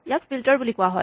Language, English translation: Assamese, It is called filter